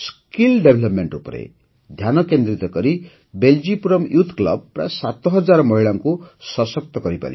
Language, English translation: Odia, Focusing on skill development, 'Beljipuram Youth Club' has empowered around 7000 women